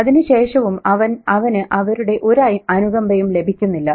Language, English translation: Malayalam, And even then he doesn't get any sympathy